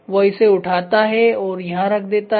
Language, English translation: Hindi, So, he picks up and then he puts it here right